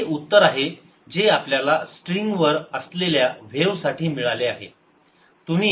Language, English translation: Marathi, now this is the answer that we get for ah wave on a string